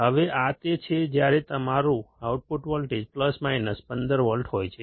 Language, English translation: Gujarati, Now this is when your output voltage is plus minus 15 volts